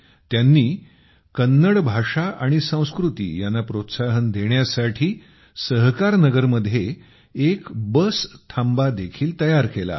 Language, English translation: Marathi, He has also built a bus shelter in Sahakarnagar to promote Kannada language and culture